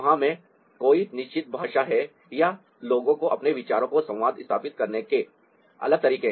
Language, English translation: Hindi, there's no fixed language or people have different ways of communicating their ideas